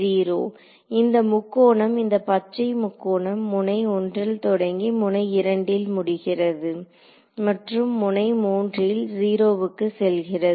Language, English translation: Tamil, 0; right, this triangle this green triangle is starting from node 1, going to node 2 and then going to 0 at node 3